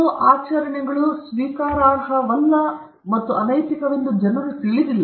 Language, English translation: Kannada, People do not know that certain practices are unacceptable and unethical